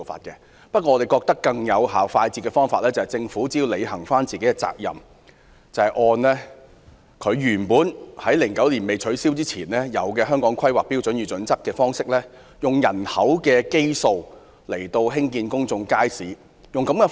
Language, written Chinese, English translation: Cantonese, 然而，我們認為更快捷有效的方法，是政府履行應有責任，恢復2009年以前的做法，採用《香港規劃標準與準則》按人口基數興建公眾街市。, However we think that the faster and more effective way is for the Government to fulfil its due responsibility to resume the practice before 2009 and adopt the Hong Kong Planning Standards and Guidelines to build public markets on a population basis